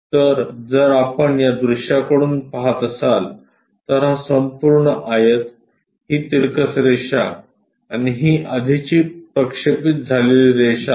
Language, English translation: Marathi, So, if we are looking from this view, this entire rectangle, this banded line, and this one already projected